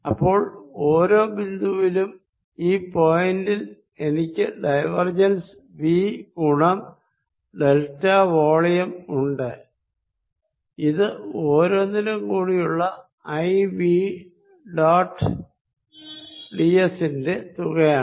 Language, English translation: Malayalam, So, that at each point let us say this point at this given point I have divergence of v times delta volume is equal to summation i v dot d s through each